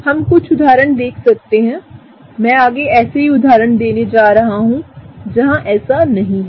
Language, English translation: Hindi, We can look at some of the examples, in the next one I am gonna go over an example, where that is not the case